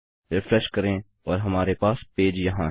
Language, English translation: Hindi, Refresh and we have a page here